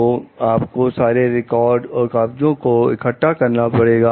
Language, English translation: Hindi, So, you need to keep records and collect papers